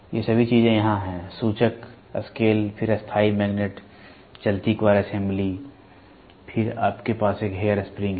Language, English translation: Hindi, All these things are here, pointer, scale, then permanent magnets, moving coil assembly, then, you have a hair spring